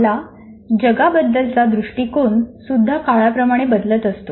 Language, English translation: Marathi, Even our view of the world continuously changes with time